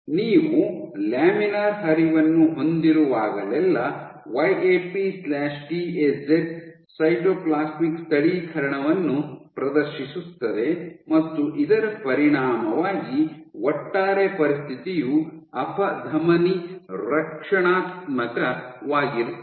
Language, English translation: Kannada, So, whenever you have laminar flow your YAP/TAZ exhibits a Cytoplasmic localization and as a consequence there is the reason the overall situation is athero protective